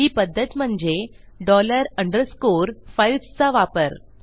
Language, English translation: Marathi, The way to do this is by using dollar underscore FILES